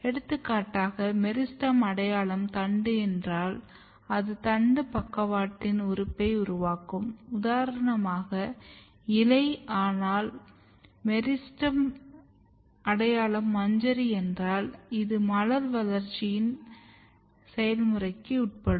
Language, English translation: Tamil, For example, if the meristem identity is shoot then it will make lateral organ for shoot for example, leaf, but if the meristem identity is inflorescence then this will undergo the process of floral development